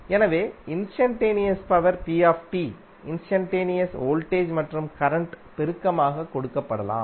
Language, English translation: Tamil, So instantaneous power P can be given as multiplication of instantaneous voltage and current